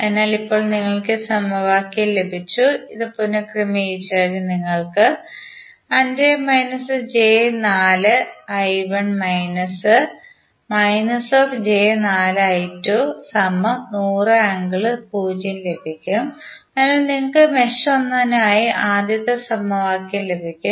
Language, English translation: Malayalam, So, now you got this equation, if you rearrange you will get 5 minus 4j into I 1 minus of minus of 4j I 2, so this will become plus and then 100 would be at the other, so you will get first equation for the mesh 1